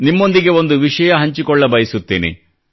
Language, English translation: Kannada, I would like to share something with you